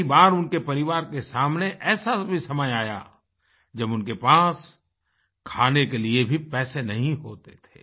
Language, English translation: Hindi, There were times when the family had no money to buy food